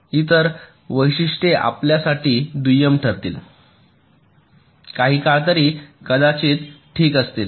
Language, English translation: Marathi, so so the other features will become secondary for you may be, for sometime at least